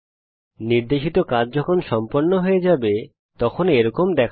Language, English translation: Bengali, The assignment when drawn will look like this